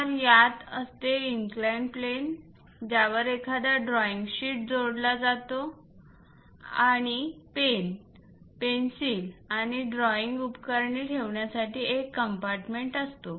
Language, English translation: Marathi, So, an inclined plane on which one will be going to fix a drawing sheet and a compartment to keep your reserves like pen, pencils, and drawing equipment